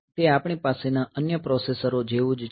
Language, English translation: Gujarati, So, it is same as other processors that we have